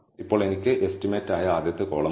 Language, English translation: Malayalam, Now I have the first column which is estimate